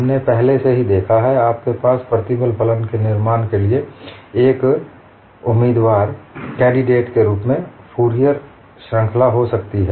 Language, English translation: Hindi, We have seen already, you could have Fourier series, as a candidate for constructing stress functions